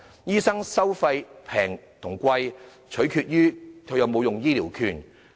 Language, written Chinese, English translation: Cantonese, 醫生收費的高低，取決於是否使用醫療券。, The amount of medical fees depend on whether or not healthcare vouchers are used